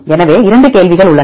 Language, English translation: Tamil, So, there are 2 questions